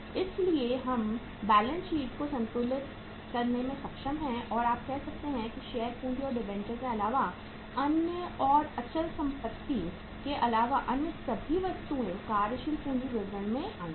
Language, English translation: Hindi, So we have been able to balance the balance sheet and you see say other than share capital and debentures and fixed assets most of the other items have come from the working capital statement